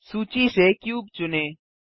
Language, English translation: Hindi, Select cube from the list